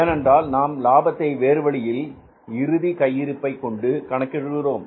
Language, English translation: Tamil, Because we calculate the profits in a different way by evaluating the closing stock